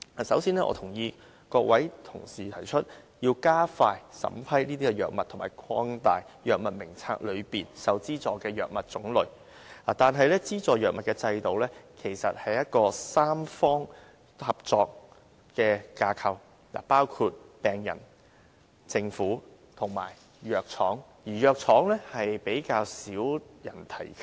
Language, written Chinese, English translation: Cantonese, 首先，我贊同各位同事提出要加快審批藥物和擴大《藥物名冊》中受資助的藥物種類，但資助藥物的制度其實是一個三方合作的架構，包括病人、政府和藥廠，而藥廠是比較少人提及的。, Before all else I agree to the proposal put forward by Honourable colleagues for expediting the approval of drugs and expanding the types of subsidized drugs in the Drug Formulary . However the subsidy regime for drugs is actually a tripartite framework which includes patients the Government and pharmaceutical firms though little mention is made of the latter